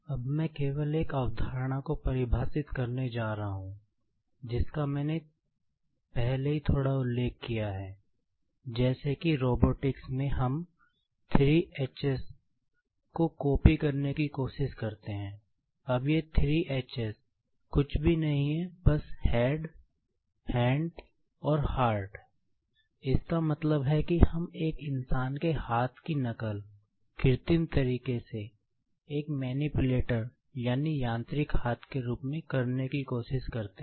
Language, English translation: Hindi, Now, I am just going to define one concept, which I have already mentioned a little bit, like in robotics, we try to copy 3 Hs